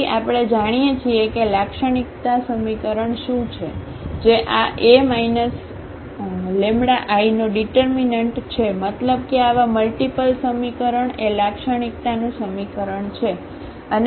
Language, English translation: Gujarati, So, we know what is the characteristic equation that is the determinant of this A minus lambda I; meaning this such polynomial equation is the characteristic equation